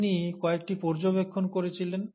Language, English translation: Bengali, So he made a few observations